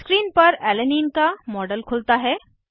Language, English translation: Hindi, A 3D model of Alanine opens on screen